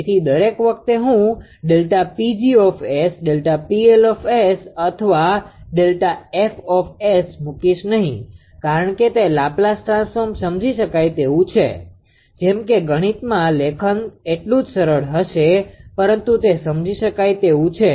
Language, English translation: Gujarati, So, if you and and and every time I will not put delta P g S delta P L S or delta fs right because it is Laplace transform understandable; such that in mathematics writing will be easier right so, but it is understandable